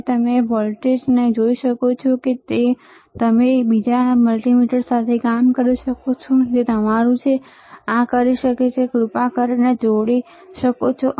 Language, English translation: Gujarati, And you can see the voltage same way you can do it with another multimeter, which is your, this one can, you can you please connect it